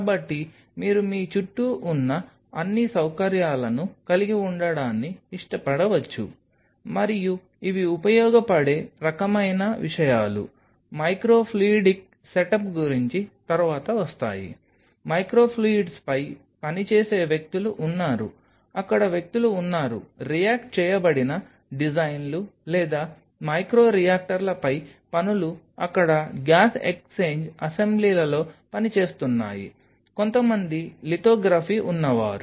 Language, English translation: Telugu, So, you may love to have all these facilities in an around you and these are the kind of things where these are helpful for will be coming later into this about micro fluidic set up there are people who are working on micro fluidics there are people who works on reacted designs or micro reactors there are working were use working on gas exchange assemblies there a people who are some lithography